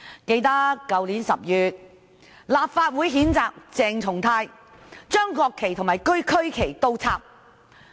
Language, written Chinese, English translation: Cantonese, 記得在去年10月，立法會譴責鄭松泰議員倒插國旗和區旗。, In October last year the Legislative Council condemned Dr CHENG Chung - tai for putting the national and SAR flags upside down